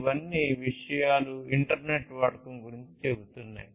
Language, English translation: Telugu, These are all about the use of internet of things